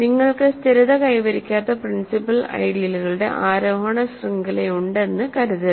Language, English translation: Malayalam, Suppose not suppose you have an ascending chain of principal ideals which does not stabilize